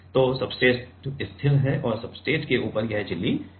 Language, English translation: Hindi, Substrate is fixed and on top of the substrate this membrane is vibrating